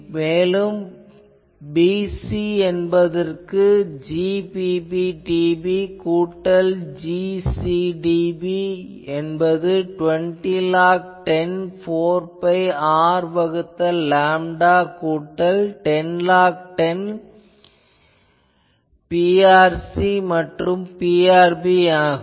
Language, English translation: Tamil, So, we can write G ot dB plus G or dB is equal to 20 log 10 4 pi R by lambda plus 10 log 10 P r by P t ok